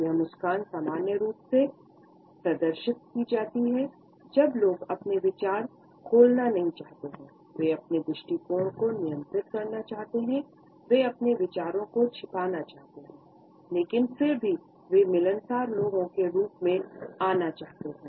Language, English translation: Hindi, This smile is normally exhibited, when people do not want to opened up with thoughts, they want to restrain their attitudes, they want to conceal their ideas and at the same time they want to come across as affable people